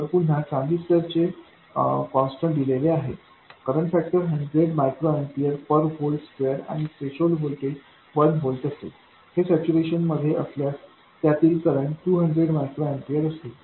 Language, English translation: Marathi, Again, given the constants of the transistor, the current factor being 100 microamper per volt square and the threshold voltage being 1 volt, the current in this if it is in saturation would be 200 microampiers